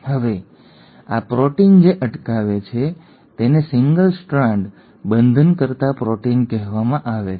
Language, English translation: Gujarati, Now these proteins which prevent that are called as single strand binding proteins